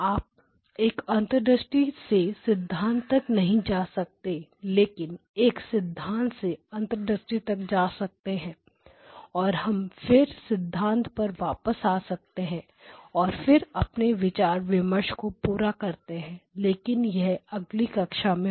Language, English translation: Hindi, And you cannot go from insight to theory but you go from theory to insight a sort of reinforces and then we come back to theory and then complete the discussion but that will be done in the next class